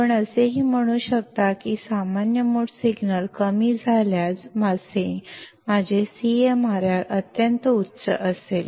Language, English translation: Marathi, You can also say that if a common mode signal is low; my CMRR would be extremely high